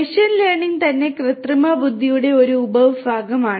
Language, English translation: Malayalam, And machine learning itself is a subset of artificial intelligence